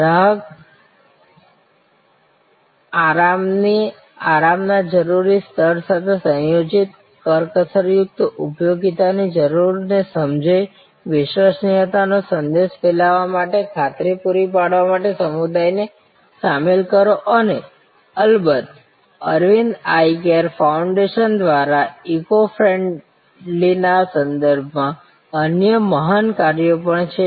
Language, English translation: Gujarati, Understand the need of combining, frugal utility with requisite level of customer comfort, involve the community to provide assurance to spread the message of reliability and of course, there are other great things done by Aravind eye care foundation with respect to eco friendly may be I will discuss that at a later date